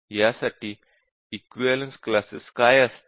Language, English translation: Marathi, So what would be the equivalence classes for this